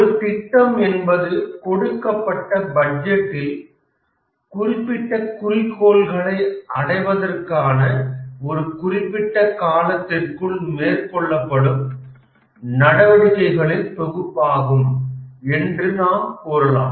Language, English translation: Tamil, We can also say that a project is a set of activities undertaken within a defined time period in order to meet specific goals within a budget